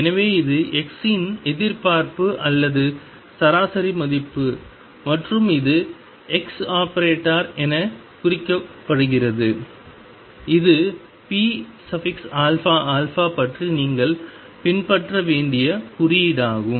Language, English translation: Tamil, So, this is expectation or average value of x and this is denoted as x like this, this is the notation that you must follow what about p alpha alpha